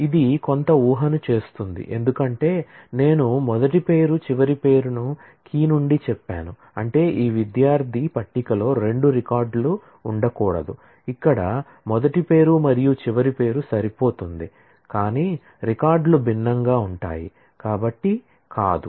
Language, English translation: Telugu, This does make some assumption, because if I say the first name last name together from say key; that means, that there cannot be two records in this student table, where the first name and last name match, but the records are different